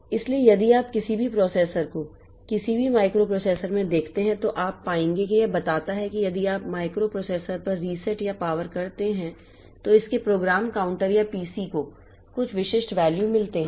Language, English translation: Hindi, So, what this CPU does so if you look into any processor, any microprocessor, so you will find that it tells that if you reset or power on this microprocessor its program counter or PC gets some specific value